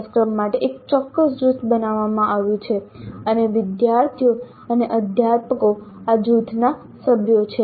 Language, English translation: Gujarati, A specific group is created for the course and the students and the faculty are members of this group